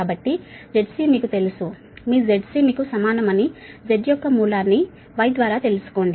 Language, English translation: Telugu, so we have seen, we know that z c is equal to here, root over z y